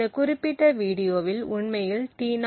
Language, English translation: Tamil, c in this specific video we will be looking at T0